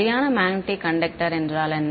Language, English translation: Tamil, What is a perfect magnetic conductor right